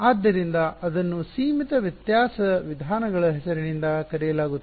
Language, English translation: Kannada, So, that is known by the name of finite difference methods